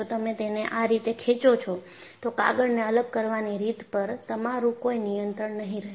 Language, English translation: Gujarati, If you pull it like this, you will have absolutely no control on the way separation of the paper will happen